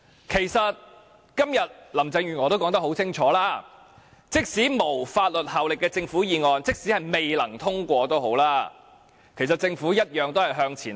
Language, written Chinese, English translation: Cantonese, 其實，林鄭月娥今天已說得很清楚，即使政府議案沒有法律效力，即使它未能通過，政府一樣會向前行。, As a matter of fact Carrie LAM has made it very clear today . Even if the Government motion which does not have any binding effect cannot be passed the Government will go ahead all the same